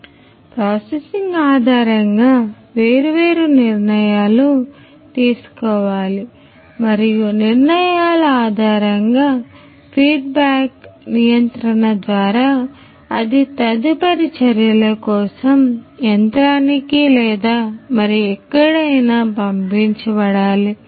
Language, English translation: Telugu, And based on the processing the different decisions has to be made and based on the decisions there is a feedback control that has to be sent back to the machine or elsewhere for further actions